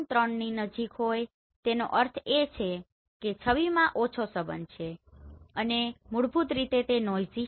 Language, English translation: Gujarati, 3 means the image have low correlation and basically it is noisy